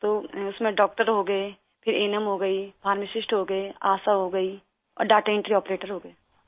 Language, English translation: Urdu, That comprised a doctor, then the ANM, the pharmacist, the ASHA worker and the data entry operator